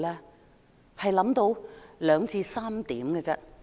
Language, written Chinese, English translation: Cantonese, 我只想到兩三點。, I have come up with just a couple of points